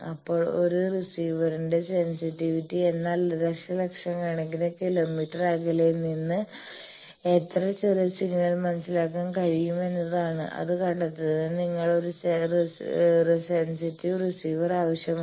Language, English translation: Malayalam, Then sensitivity of a receiver, how small a signal you can sense when you are sensing a radio star sending from millions of kilometre away is signals you need a receiver very sensitive receiver for detect that